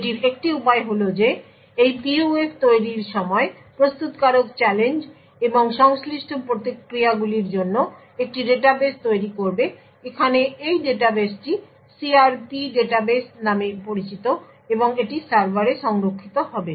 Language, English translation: Bengali, So the way to go about it is that at the time of manufacture of this PUF, the manufacturer would create a database for challenges and the corresponding responses, so this database over here is known as the CRP database and it would be stored in the server